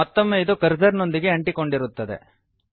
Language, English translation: Kannada, Again it will be tied to your cursor